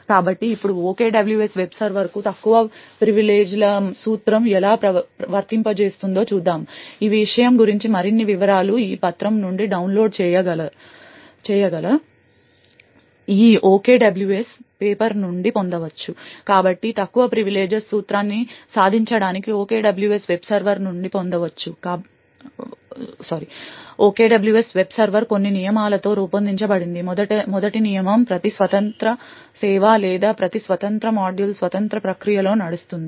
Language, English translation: Telugu, So now let us look at how the Principle of Least Privileges is applied to the OKWS web server, more details about this thing can be obtained from this OKWS paper which is downloadable from this page, so in order to achieve the Principle of Least Privileges, the OKWS web server is designed with certain rules, the first rule is that each independent service or each independent module runs in an independent process